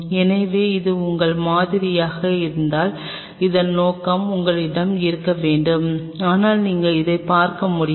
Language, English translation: Tamil, So, if this is your sample you should have the objective this for and yet you will you will be able to see it